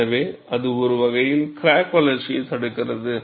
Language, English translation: Tamil, So, that, in a sense, retards the crack growth